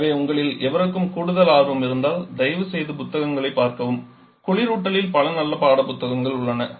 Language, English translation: Tamil, So, if any of you have for the interest, please refer to take books, there are several very good textbook available on refrigeration